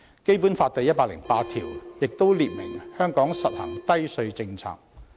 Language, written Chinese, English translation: Cantonese, 《基本法》第一百零八條亦訂明，香港實行低稅政策。, As stipulated in Article 108 of the Basic Law Hong Kong shall implement the low tax policy